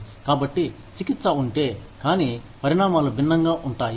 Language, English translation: Telugu, So, the treatment is the same, but the consequences are different